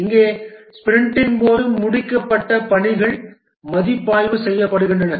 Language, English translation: Tamil, Here, the work that has been completed during the sprint are reviewed